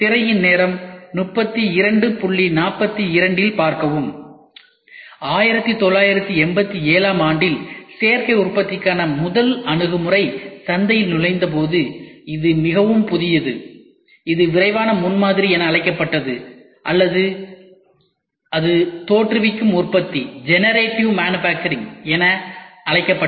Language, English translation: Tamil, When the first approaches to Additive Manufacturing entered the market in 1987, it is very new it was called as Rapid Prototyping or it was called as Generative Manufacturing